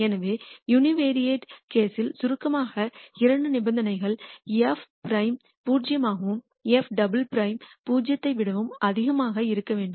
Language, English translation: Tamil, So, to summarize in the univariate case the two conditions are f prime has to be zero and f double prime has to be greater than 0